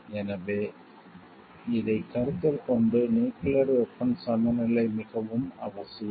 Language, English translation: Tamil, So, taking this into consideration, a balance of nuclear weapon is very much essential